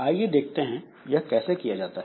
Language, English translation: Hindi, So, let us see how is it done